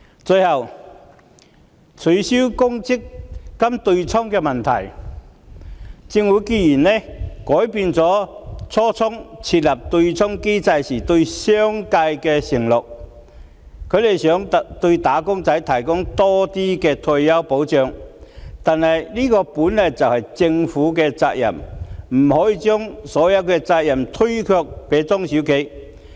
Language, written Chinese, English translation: Cantonese, 最後，有關取消強制性公積金對沖的問題，政府改變了當初設立對沖機制時對商界的承諾，想對"打工仔"提供多些退休保障，不過，這本來就是政府的責任，不可以將所有責任推卸給中小企。, Lastly as regards the abolition of the offsetting arrangement of the Mandatory Provident Fund the Government has changed the undertaking made to the business sector in an attempt to provide more retirement protection to wage earners . However retirement protection is by and large the Governments responsibility that cannot be shirked onto small and medium enterprises